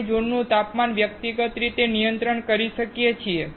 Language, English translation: Gujarati, We can control the zone temperature individually